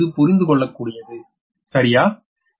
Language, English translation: Tamil, so it is understandable, right